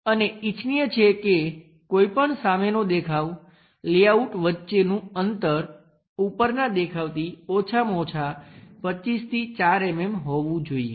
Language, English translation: Gujarati, And it is recommended that the distance between any front view layout to top view should be minimum of 25 to 4 mm